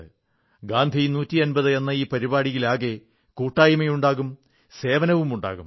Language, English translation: Malayalam, In all the programmes of Gandhi 150, let there be a sense of collectiveness, let there be a spirit of service